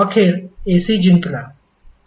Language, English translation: Marathi, Eventually AC won